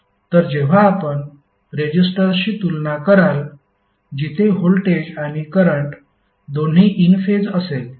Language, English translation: Marathi, So when you compare with the resistor, where voltage and current both are in phase